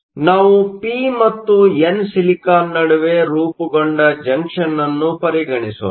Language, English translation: Kannada, So, let us consider a junction formed between p and n silicon